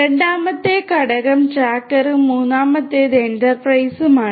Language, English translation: Malayalam, The second component, now the second component is the Tracker and the third one is the Enterprise